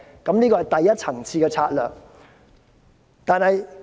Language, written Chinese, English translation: Cantonese, 這是第一層次的策略。, This is the first - tier tactic